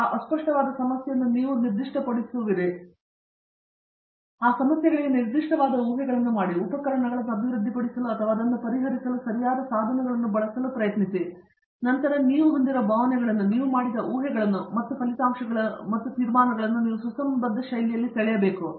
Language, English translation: Kannada, So, how do you take that vaguely stated problem make it more specific, make very specific assumptions for that problem, try to develop the tools or use appropriate tools to solve it and then defend what you have, the assumptions you have made and the results conclusions you are drawing in a coherent fashion